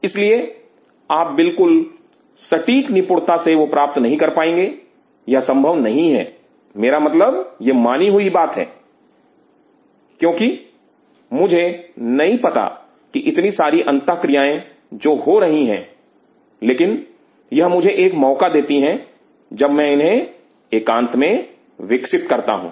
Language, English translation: Hindi, So, in you may not be able to achieve the exact perfection it is not possible I mean its accepted, because I do not know these many interactions which is happening, but this give me an opportunity when I am going this in isolation